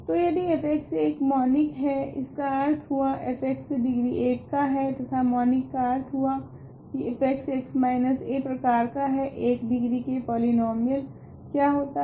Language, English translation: Hindi, So, if f x is monic; that means, f x is degree 1 and monic means a a f x is the form x minus a, what is what are degree 1 polynomials